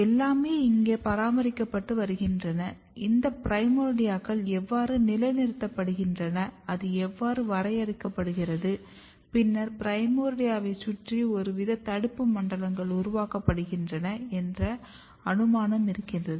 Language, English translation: Tamil, So, everything is being maintained here and how these primordia’s are positioned, how it is being define then there was a hypothesis that some kind of inhibitory zones are created around a primordia